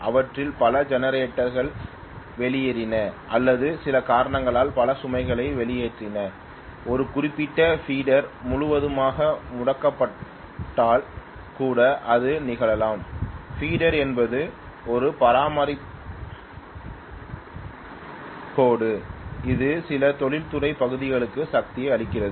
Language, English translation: Tamil, If many of them conked out, many generators conked out or many loads for some reason conked out which can also happen if one particular feeder is tripped completely, feeder is a transmission line which feeds power to some industrial area probably